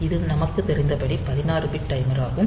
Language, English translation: Tamil, So, this 16 bit timer